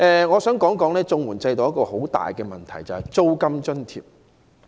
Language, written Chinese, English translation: Cantonese, 我想談談綜援制度中一個很大的問題，就是租金津貼。, I will talk about a major problem in the CSSA system and that is rent allowance